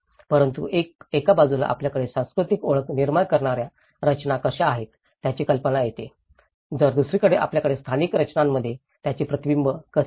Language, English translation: Marathi, But at least it will get an idea of how, on one side we have the structures that create the cultural identity, on the other side, we have how it is reflected in the spatial structures